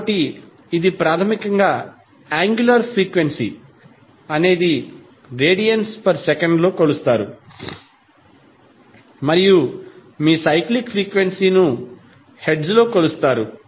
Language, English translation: Telugu, So, this is basically the relationship between angular frequency that is measured in radiance per second and your cyclic frequency that is measured in hertz